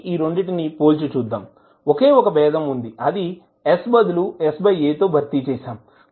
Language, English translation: Telugu, So now if you compare these two, the only difference is that you are simply replacing s by s by a